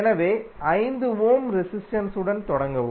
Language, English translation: Tamil, So, start with the 5 ohm resistance